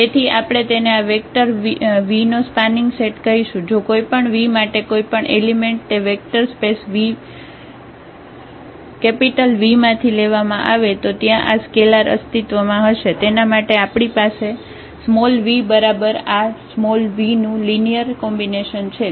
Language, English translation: Gujarati, So, we will call that this is a spanning set of this vector v if for any V, if for any v take any element from that vector space V then there exist the scalars this alpha 1, alpha 2, alpha n such that we have v is equal to this linear combination of these vs here